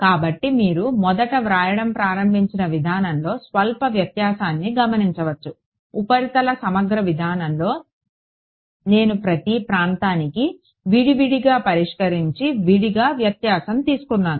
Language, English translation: Telugu, So, you notice the slight difference in approach is started write in the beginning, in the surface integral approach I went for each region separately solved separately subtracted